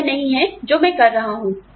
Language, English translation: Hindi, It is not what, I am doing now